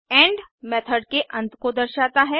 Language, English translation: Hindi, end marks the end of method